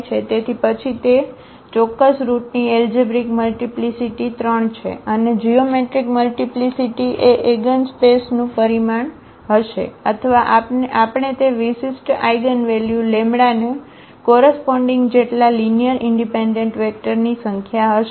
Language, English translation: Gujarati, So, then it is algebraic multiplicity of that particular root is 3 and the geometric multiplicity will be the dimension of the eigenspace or the number of linearly independent vectors we have corresponding to that particular eigenvalue lambda